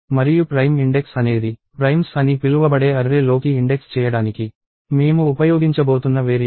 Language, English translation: Telugu, And prime index is a variable that I am going to use to index into the array called primes